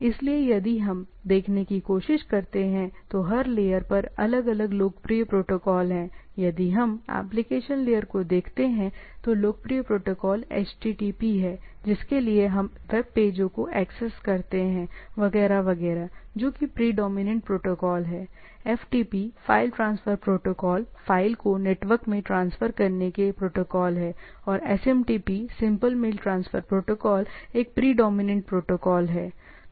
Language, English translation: Hindi, So, protocols at different layers if we try to see or what we are looking at, is more popular protocols at different layer; if we look at the application layer, the popular protocol is HTTP for what by which we access web pages etcetera that is the predominant protocol, there are protocol for FTP: file transfer protocol and there is a predominant protocol for SMTP: simple mail transfer protocol, right